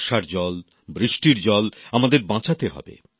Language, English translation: Bengali, We have to save Rain water